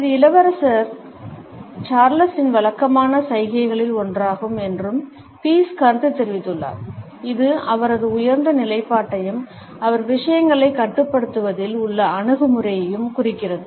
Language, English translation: Tamil, Pease has commented that it is also one of the regular gestures of Prince Charles, which indicates his superior position as well as the attitude that he is in control of things